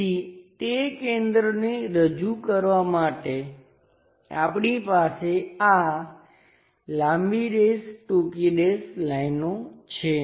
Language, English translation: Gujarati, So, to represent that a center, we have this long dash short dash lines